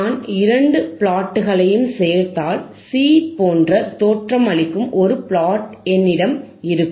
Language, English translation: Tamil, If I join both plots, I will have plot which looks like this, right, which is my plot C, right